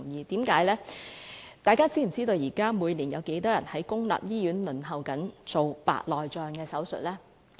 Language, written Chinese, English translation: Cantonese, 大家知否每年有多少人輪候在公立醫院接受白內障手術？, Do Members know the number of people waiting for cataract surgery in public hospitals each year?